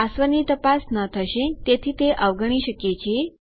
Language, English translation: Gujarati, The password wont be checked so we could skip that